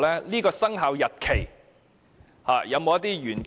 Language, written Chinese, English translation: Cantonese, 這個生效日期有否隱藏一些玄機？, Is there any secret hidden behind this commencement date?